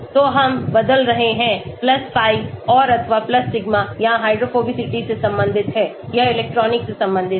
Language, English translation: Hindi, So, we are changing + pi and/or + sigma this is related to hydrophobicity this is related to electronic